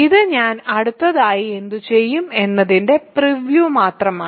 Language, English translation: Malayalam, So, this is just a preview of what I will do next